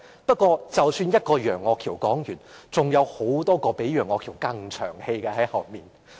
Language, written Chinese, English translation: Cantonese, 不過，一個楊岳橋說完，還有很多比楊岳橋更長氣的議員在後面。, However after Alvin YEUNG has finished speaking more Members who are more long - winded than Alvin YEUNG will follow